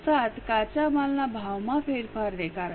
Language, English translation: Gujarati, 07 because of change in raw material prices